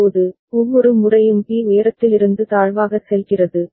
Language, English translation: Tamil, Now, every time B goes from high to low